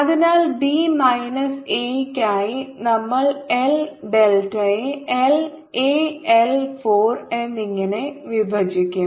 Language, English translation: Malayalam, so and for b minus a, we l put l, delta divided by l